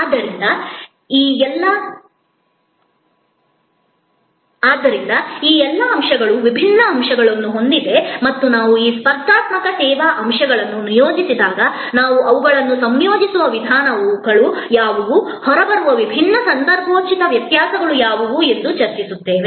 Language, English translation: Kannada, So, all these elements therefore, have different aspects and as we go along the course we will discuss that when we deployed this competitive service elements, what are the ways we combine them, what are the different contextual variations that may come up out